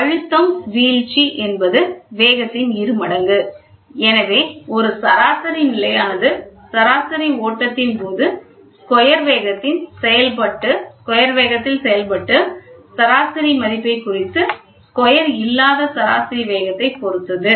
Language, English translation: Tamil, The pressure drop is the function of speed squared; hence, a mean steady reading represents a mean value of the speed squared while the average flow depends on the mean speed not squared